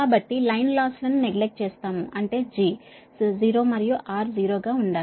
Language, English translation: Telugu, so while line losses a neglected, that means g should be zero and r should be zero, right